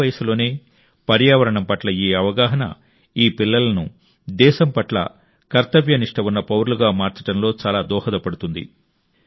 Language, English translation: Telugu, This awareness towards the environment at an early age will go a long way in making these children dutiful citizens of the country